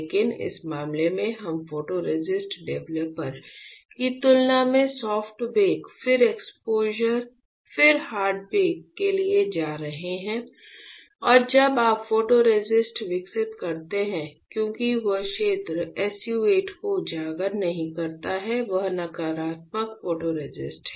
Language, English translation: Hindi, But in this case we are going for soft bake then exposure then hard bake than photoresist developer and when you develop the photoresist because the area which is not expose SU 8 is negative photoresist